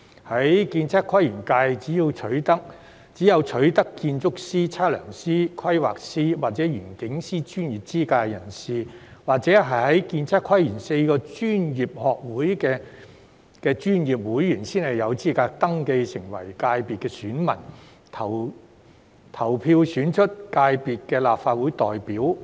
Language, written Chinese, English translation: Cantonese, 在建測規園界，只有取得建築師、測量師、規劃師或園境師專業資格的人士，或者是建測規園4個專業學會的專業會員，才有資格登記成為界別選民，投票選出界別的立法會代表。, Only individuals who have acquired the professional qualifications of architects surveyors planners and landscape architects or are professional members of the four ASPL professional institutes are eligible to register as electors for ASPL FC and vote for the representatives of the sector in the Legislative Council